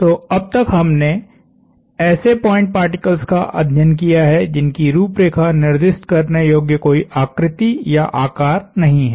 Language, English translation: Hindi, So, up until now we dealt with point particles which have no designable shape or size